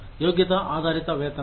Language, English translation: Telugu, Competency based pay